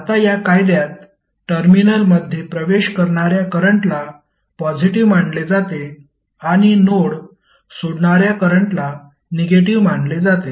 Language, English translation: Marathi, Now this, in this law current entering the terminals are regarded as positive and the current which are leaving the node are considered to be negative